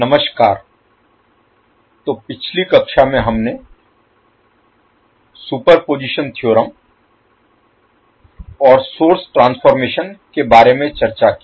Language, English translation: Hindi, Namaskar, so in the last class we discussed about Superposition Theorem and the source transformation